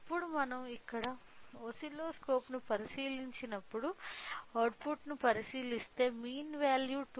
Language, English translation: Telugu, Now, when we look into the output when we look into the oscilloscope here we can see that the mean value represents 2